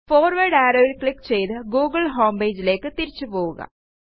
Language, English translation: Malayalam, Click on the forward arrow to go back to the google homepage